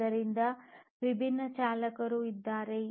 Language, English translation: Kannada, So, there are different drivers